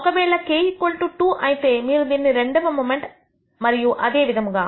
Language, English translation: Telugu, If k equals 2 you will call the second moment and so on so, forth